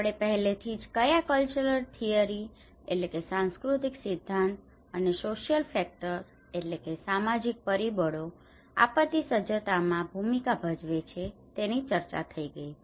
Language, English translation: Gujarati, We already had discussion on what cultural theory and social factors they play a role in disaster preparedness